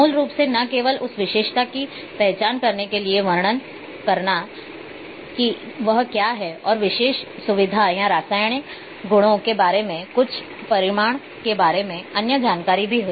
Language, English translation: Hindi, So,basically to describe not only identify that feature that what it is and also other information's about that particular feature or some magnitude maybe maybe the chemical qualities